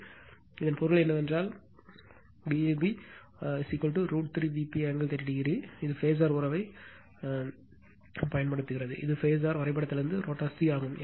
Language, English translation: Tamil, So, that means, whatever you did here that your V a b, V a b is equal to root 3 V p angle 30 degree, this is using this phasor relationship and this is from the phasor diagram is rotor c right